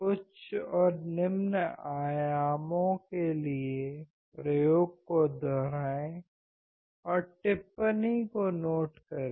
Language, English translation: Hindi, Repeat the experiment for higher and lower amplitudes and note down the observation